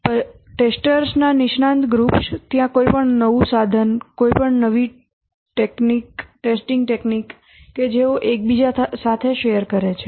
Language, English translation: Gujarati, The specialist groups, since the testers are all there, any new tool, any new testing technology, they share with each other